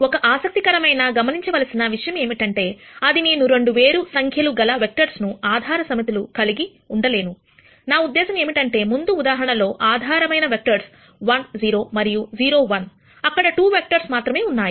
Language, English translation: Telugu, An interesting thing to note here though is that, I cannot have 2 basis sets which have di erent number of vectors, what I mean here is in the previous example though the basis vectors were 1 0 and 0 1, there were only 2 vectors